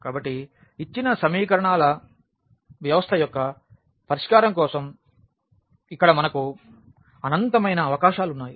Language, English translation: Telugu, So, here we have infinitely many possibilities for the solution of the given system of equations